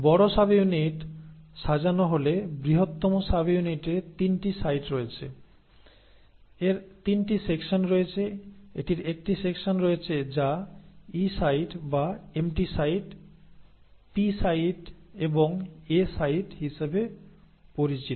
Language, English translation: Bengali, Now once the large subunit arranges the largest subunit has 3 sites, it has 3 sections; it has a section which is called as the E site or the “empty site”, the P site and the A site